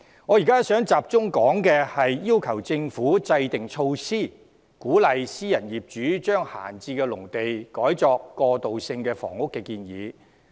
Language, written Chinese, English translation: Cantonese, 我現在想集中談談要求政府制訂措施，鼓勵私人業主將閒置農地改作過渡性房屋的建議。, I now wish to focus my discussion on the proposal which calls for the Government to formulate measures for encouraging private landowners to convert idle agricultural lands into transitional housing